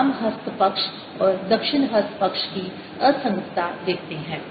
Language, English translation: Hindi, you see the inconsistency of the left hand side and the right hand side